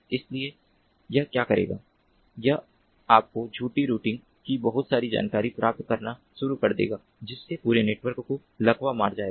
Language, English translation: Hindi, so what it will do is it will start, ah, you know, ah, ah, pumping in lot of false routing information, that, and thereby paralyzing the whole network